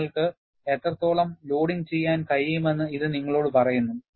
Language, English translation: Malayalam, It tells you how much loading you can do